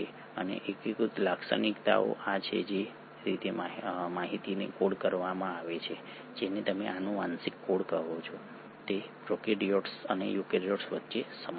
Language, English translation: Gujarati, And the unifying features are these; the way in which the information is coded which is what you call as genetic code is similar between prokaryotes and eukaryotes